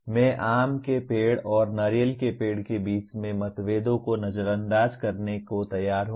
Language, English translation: Hindi, I am willing to ignore the differences between mango tree and a coconut tree